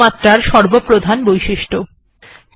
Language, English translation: Bengali, So that is the key thing about Sumatra